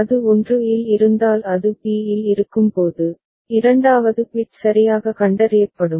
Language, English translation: Tamil, When it is at b if it receives 1 then second bit is correctly detected